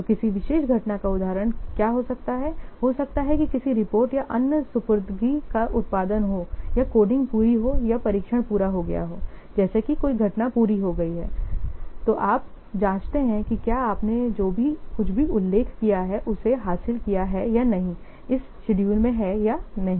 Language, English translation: Hindi, So, what could the example of particular event might be what the production of some report or other deliverable or what the coding is complete or testing is complete like that some event is completed, then you check whether you have achieved whatever it is mentioned in the schedule or not